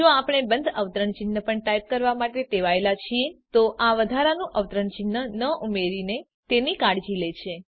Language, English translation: Gujarati, If we are accustomed to type the closing quotes also, it takes care of it by not adding the extra quote